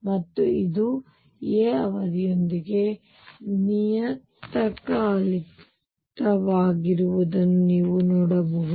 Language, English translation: Kannada, And you can see this is periodic with period a